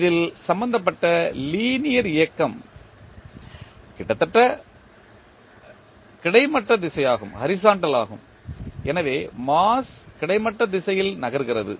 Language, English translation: Tamil, The linear motion concerned in this is the horizontal direction, so the mass is moving in the horizontal direction